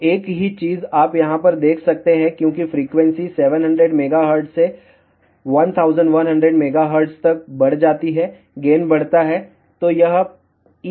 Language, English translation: Hindi, So, same thing you can notice over here, as frequency increases from 700 megahertz to 1100 megahertz, gain increases